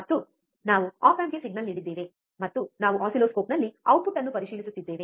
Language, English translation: Kannada, And we have given the signal to the op amp, and we are just checking the output on the oscilloscope